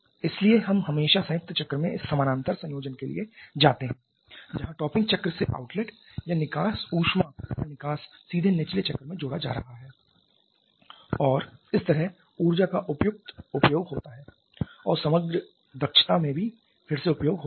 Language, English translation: Hindi, Therefore we always go for this parallel combination in combined cycle where the outlet or the exhaust of the exhaust heat from the topping cycle is directly being added to the bottoming cycle and thereby having a suitable utilization of energy and also again in the overall efficiency